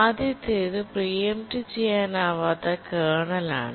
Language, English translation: Malayalam, The first is non preemptible kernel